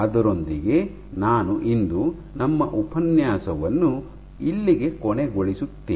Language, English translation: Kannada, So, with that I end our lecture today